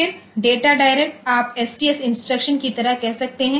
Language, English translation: Hindi, Then data direct, you can say like the STS instruction